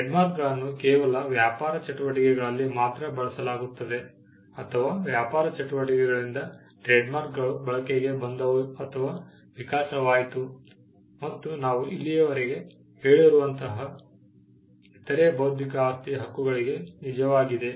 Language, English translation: Kannada, Trademarks are used solely in business activities or the use or the evolution of trademarks came around in business activities; which is also true to the other intellectual property rights that we have covered so far